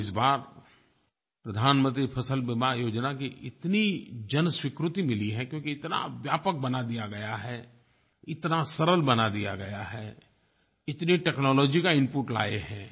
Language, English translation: Hindi, Let me tell you, Pradhan Mantri Fasal Beema Yojana has got a lot of public acceptance as it is very comprehensive, simple and with technological inputs